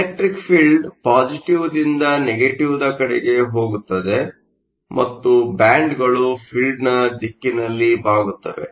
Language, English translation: Kannada, The electric field goes from positive to negative, and the bands bend up in the direction of the field